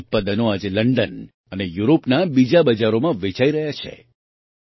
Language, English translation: Gujarati, Today their products are being sold in London and other markets of Europe